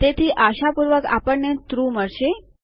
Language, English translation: Gujarati, So hopefully we get true